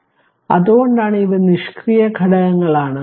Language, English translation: Malayalam, So, that is why they are passive elements right